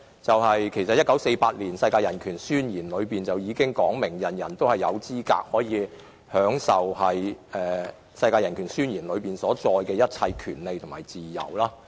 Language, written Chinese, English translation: Cantonese, 在1948年通過的《世界人權宣言》已訂明，人人有資格享有當中所載的一切權利和自由。, Adopted in 1948 the Universal Declaration of Human Rights already stipulates that everyone is entitled to all the rights and freedoms set forth therein